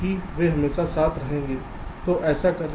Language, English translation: Hindi, because they will always remain together